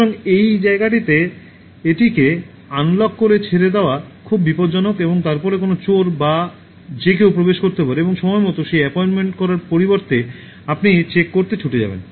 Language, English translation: Bengali, So, and then it’s very dangerous in this place to leave it unlocked and then any thief, anybody can enter and then instead of making that appointment in time you will rush back to check and you will find that it is locked, okay